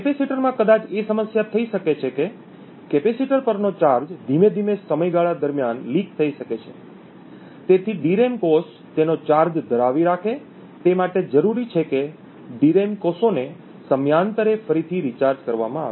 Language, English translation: Gujarati, The problem that may occur in capacitors is that the charge on the capacitor may gradually leak over a period of time, thus in order that a DRAM cell holds its charge it is required that the DRAM cells be recharged periodically